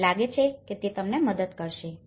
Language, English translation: Gujarati, I think that will help you